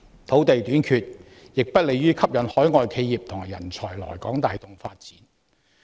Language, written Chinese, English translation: Cantonese, 土地短缺亦不利於吸引海外企業及人才來港帶動發展。, Land shortage is also unfavourable to attracting overseas enterprises and talent to Hong Kong for driving our development